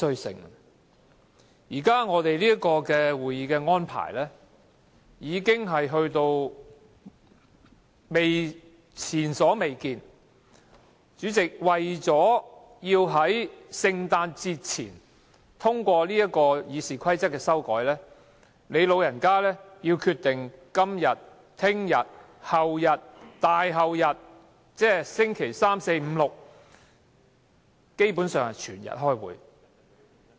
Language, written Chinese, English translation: Cantonese, 現時我們會議的安排屬前所未見，主席，你為了要在聖誕節前通過這項修改《議事規則》的議案，不惜決定在今天、明天、後天、大後天，即周三、四、五、六基本上是整天開會。, President in order to have the proposed resolutions on amending RoP passed before the Christmas holidays you decided to have this Council sitting today tomorrow the next day as well as the day after meaning basically meeting full - day on Wednesday Thursday Friday and Saturday